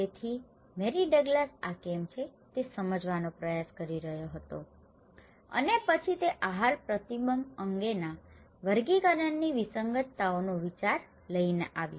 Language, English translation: Gujarati, So, Mary Douglas was trying to understand why this is so and then she came up with the idea, taxonomic anomalies on dietary restrictions